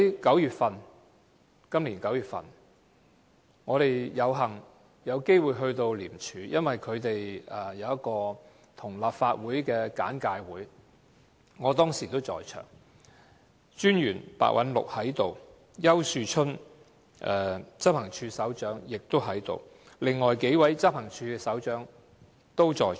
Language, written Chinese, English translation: Cantonese, 今年9月，我們有幸有機會到廉署，因為有一個跟立法會安排的簡介會，我當時也在場，廉政專員白韞六也在場，執行處首長丘樹春也在場，另外數位執行處的處長都在場。, In September this year we were lucky to have an opportunity to go to ICAC as there was a briefing arranged with the Legislative Council . I was there together with ICAC Commissioner Simon PEH Head of Operations Ricky YAU and other Directors of Investigation under the Operations Department